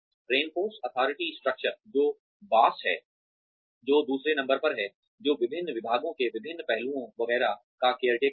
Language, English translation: Hindi, Reinforce authority structure, who is boss, who is number two, who is the caretaker of different aspects of different departments, etcetera